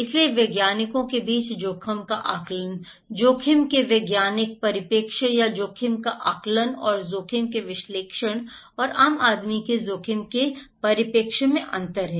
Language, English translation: Hindi, So, there is a difference between what scientists are estimating the risk, the scientific perspective of the risk or estimation of risk and analysis of risk and the common man’s perspective of risk